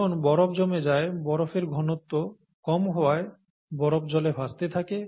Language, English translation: Bengali, And when ice forms because of the lower density of ice, ice floats